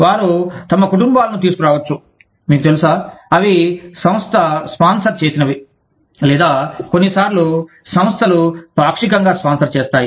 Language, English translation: Telugu, They may bring their families, you know, that are sponsored by the organization, or, that are sometimes partially sponsored by the organization